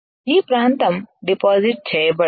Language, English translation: Telugu, This area cannot get deposited